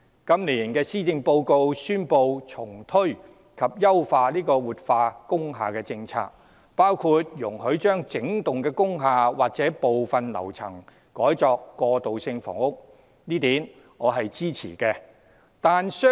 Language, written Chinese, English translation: Cantonese, 今年施政報告宣布重推及優化活化工廈政策，內容包括容許把整幢工廈或部分樓層改作過渡性房屋，我支持這一點。, It is announced in the latest Policy Address that measures to revitalize industrial buildings will be relaunched and enhanced . Such measures include allowing the wholesale conversion or partial conversion of several floors of industrial buildings for transitional housing which is an idea I support